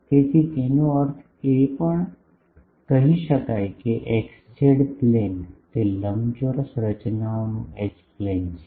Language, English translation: Gujarati, So; that means, we can say that xz plane, that is the H plane of the rectangular structures